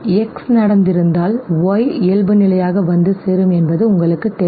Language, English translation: Tamil, Because of contiguity okay, you know that if X has happened Y is by default arriving